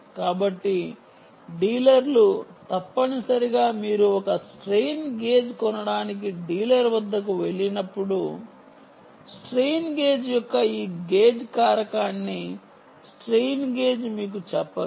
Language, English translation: Telugu, so dealers, essentially, when you have, when you go to a dealer to buy one strain gage, they will not tell you the strain gage ah, this gage factor of the ah strain gage